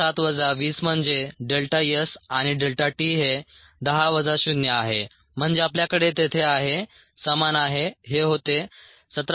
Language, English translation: Marathi, so seventeen point seven minus twenty, that is delta s and delta t is ten minus zero, so that we have their equals